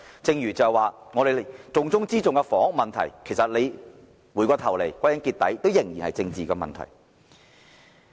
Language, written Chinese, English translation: Cantonese, 正如重中之重的房屋問題，回頭再看，歸根結底仍是政治問題。, With hindsight it would be fair to say that even the housing problem which tops the Governments agenda is after all a political issue